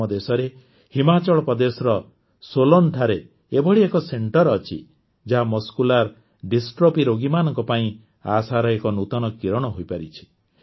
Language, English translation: Odia, We have such a centre at Solan in Himachal Pradesh, which has become a new ray of hope for the patients of Muscular Dystrophy